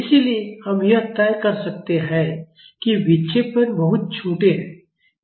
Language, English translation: Hindi, So, we can decide that the deflections are very small